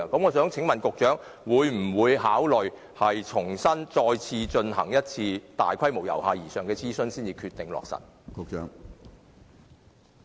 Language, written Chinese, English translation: Cantonese, 我想請問局長，他會否考慮重新再進行大規模、由下而上的諮詢，然後才落實最終決定？, May I ask the Secretary whether he will consider conducting afresh a large - scale bottom - up consultation before making the final decision?